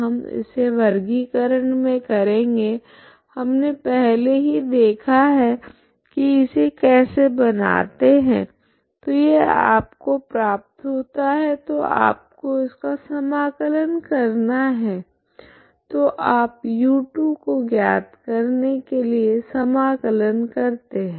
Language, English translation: Hindi, So we will do in the classification we have already seen that how to make this one so this is what you will get so this is what you have to integrate so you want to integrate to find this u2